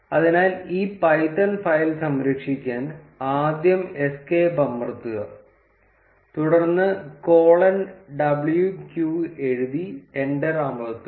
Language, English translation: Malayalam, So, to save this python file, we need to first press escape then write colon w q and press enter